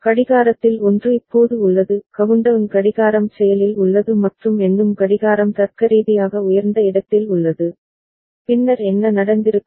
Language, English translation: Tamil, One of the clock is now countdown clock is active and count up clock is held at logic high, then what would have happened